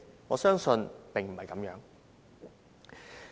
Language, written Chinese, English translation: Cantonese, 我相信並非如此。, I believe this is not the case